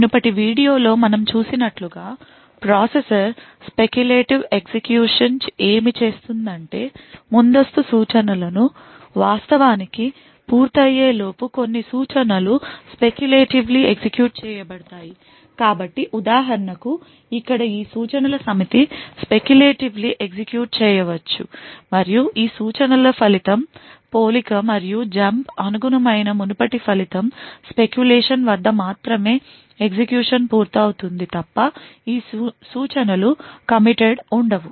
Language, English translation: Telugu, As we have seen in the previous video what speculative execution in a processor does is that certain Instructions can be speculatively executed even before prior instructions have actually being completed so for example over here this set of instructions can be speculatively executed and the result for these instructions will not be committed unless and until this previous result corresponding to the compare and the jump have completed execution only at the speculation is correct would these instructions be committed